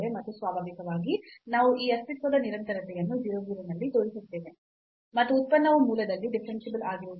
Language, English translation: Kannada, And naturally we will show this existence continuity at 0 0 and also that the function is not differentiable at the origin